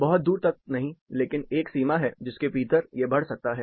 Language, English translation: Hindi, Not to the further extent, but there is a limit, within which, it can move